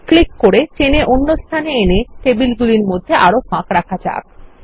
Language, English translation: Bengali, By clicking, dragging and dropping, let us introduce more space among the tables